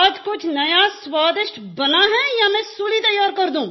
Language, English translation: Hindi, Has something tasty has been cooked today or should I prepare the noose